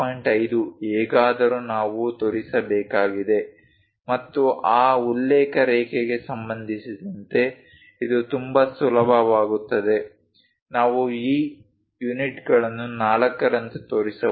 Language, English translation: Kannada, 5 anyway we have to show and it will be quite easy with respect to that reference line, we can show these units like 4